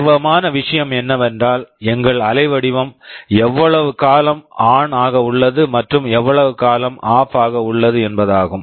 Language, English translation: Tamil, The matter of interest is that for how long our waveform is ON and for how long it is OFF